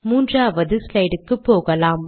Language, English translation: Tamil, Lets go to the third slide